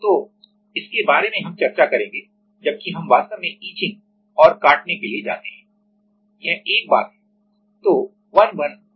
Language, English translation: Hindi, So, about that we will discuss while we go to actually etching and cutting so, this is one thing